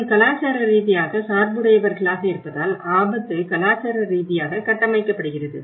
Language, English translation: Tamil, So that is where risk is cultural constructed because we are all culturally biased